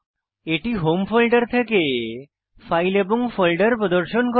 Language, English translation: Bengali, Here it is displaying files and folders from the Home folder